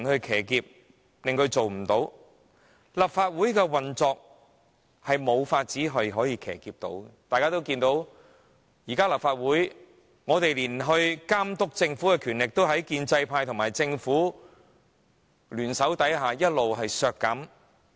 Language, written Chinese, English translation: Cantonese, 其實，立法會的運作是無法騎劫的，大家也看見，立法會現時就連監察政府的機會和權力，也在建制派和政府聯手下一直被削減。, Actually it is impossible to hijack the functioning of the Legislative Council . As we can all see due to the joint efforts of the pro - establishment camp and the Government the opportunities and powers of the Legislative Council to monitor the Government have been continuously curtailed